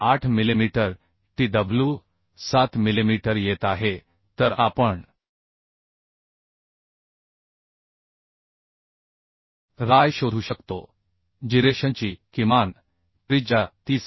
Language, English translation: Marathi, 8 millimetre tw is coming 7 millimetre then we can find out ry the minimum radius of gyration is coming 30